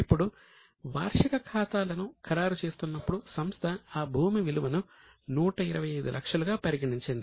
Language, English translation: Telugu, Now there are three possible market valuesizing the annual accounts it has considered the value of land as 125 lakhs